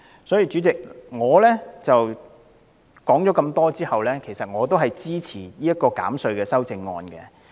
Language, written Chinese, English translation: Cantonese, 所以，主席，我雖然說了很多，但其實也支持這項有關減稅的修正案。, Hence Chairman although much has been said I do support the amendment proposed to the tax reduction initiative